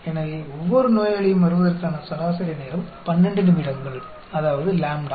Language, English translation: Tamil, So, average time for each patient to arrive is 12 minutes; that is, lambda